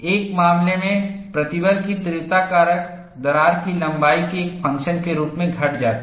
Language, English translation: Hindi, In one case, stress intensity factor decreases as the function of crack length